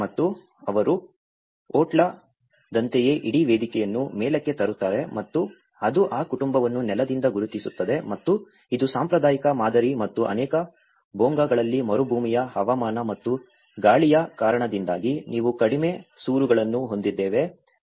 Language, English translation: Kannada, And they raise the whole platform as the otla has been raised and that demarcates that family belonging from the ground and this is how the traditional patterns and in many of the Bhongas we have the low eaves you know because of the desert climate and also the windy aspects of it, so it can protect from the wind as well